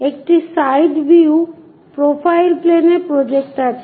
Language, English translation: Bengali, A side view projected on to profile plane